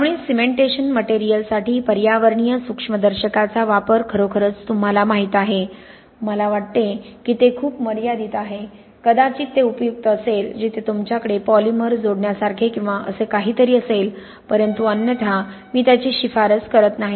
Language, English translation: Marathi, So, you know really the use of environmental microscopes for cementations materials I think is a very limited, maybe it is useful where you have something like a polymer addition or something like that but otherwise, I do not really recommend it